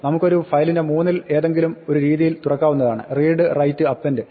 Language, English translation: Malayalam, We can open a file in one of three modes; read, write and append